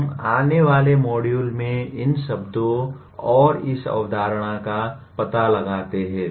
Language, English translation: Hindi, We explore these words and this concept in the following module